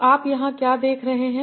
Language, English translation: Hindi, So what you are seeing here